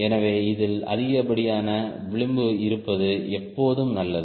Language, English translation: Tamil, so it is always better to have excess margin on this